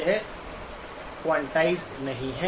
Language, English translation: Hindi, It is not quantized